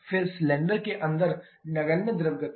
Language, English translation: Hindi, Then negligible fluid motion inside the cylinder